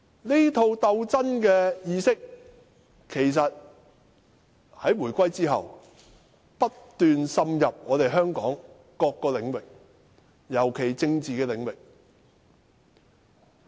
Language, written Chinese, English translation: Cantonese, 這套鬥爭意識，在回歸後不斷滲入香港各個領域，尤其是政治領域。, After the handover this idea of struggle has penetrated into different arenas of Hong Kong particularly the political arena